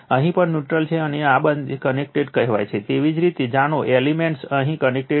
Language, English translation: Gujarati, Here also neutral is there and this two are say connected, you know elements are connected here